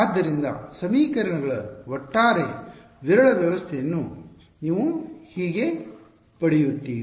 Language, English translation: Kannada, So, that is how you get a overall sparse system of the equations